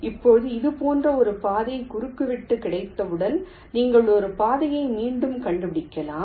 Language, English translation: Tamil, now, as you got a path intersection like this, you can trace back a path like up to here